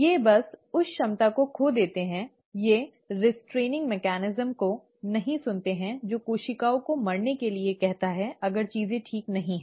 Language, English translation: Hindi, They just lose that ability, they don’t listen to the restraining mechanism which asks the cells to die if things are not fine